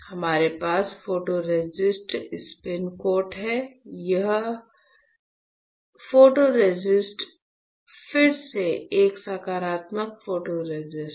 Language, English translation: Hindi, So, we have photoresist, spin coat, all right and this photoresist is again a positive photoresist